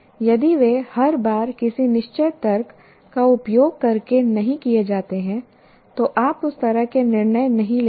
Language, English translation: Hindi, If they are not done every time through logical, using certain logic, you do not make decisions like that